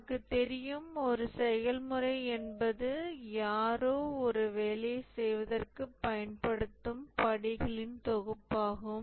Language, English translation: Tamil, As we know, a process is the set of steps that somebody uses for doing a job